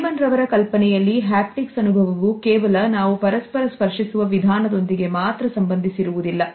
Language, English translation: Kannada, In her idea the haptic experience is not only related with the way we touch each other